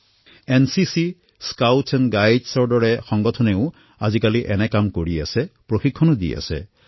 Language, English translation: Assamese, Organisations like NCC and Scouts are also contributing in this task; they are getting trained too